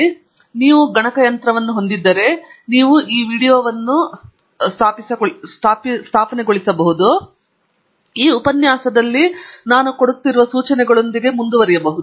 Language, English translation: Kannada, So, if you have a computer handy, you may want pause this video, install, and then, come back, and then, carry on with the instructions that I go through in this lecture